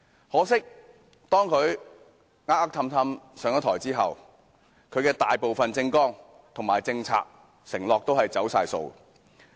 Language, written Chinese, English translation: Cantonese, 可惜，當他"呃呃氹氹"上台後，其大部分政綱、政策和承諾全都"走晒數"。, Regrettably after he was elected by fraud and sweet talk most of his manifesto policies and pledges have turned out to be empty talks